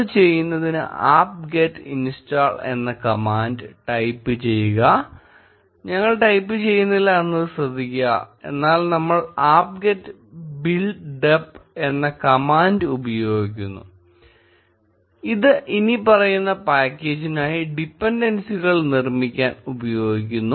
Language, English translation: Malayalam, To do that, type the following command, note that we are not typing, apt get install, but we are using the command apt get build dep which is used to build dependencies for a following package